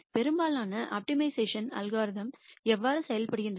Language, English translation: Tamil, This is how most optimization algorithms work